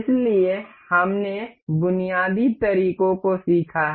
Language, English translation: Hindi, So, we have learnt we have learnt the basic methods